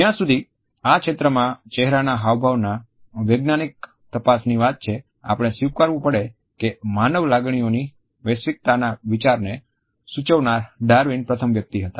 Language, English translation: Gujarati, As for as a scientific investigation in this area of facial expressions was concerned, we have to acknowledge that Darwin was the first person to suggest the idea of the universality of human emotions